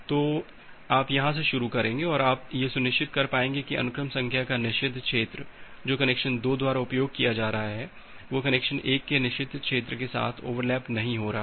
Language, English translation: Hindi, So, you will start from here and you will be able to ensure that the forbidden region of the sequence number which is been used by connection 2, so this is connection 2 that is not overlap with the forbidden region of connection 1